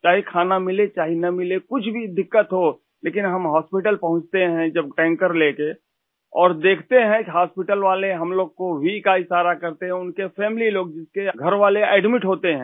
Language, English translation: Hindi, Whether one gets to eat or not…or facing any other problem…when we reach hospital with the tanker, we see people at the hospital there gesturing at us with a V sign…people whose family members are admitted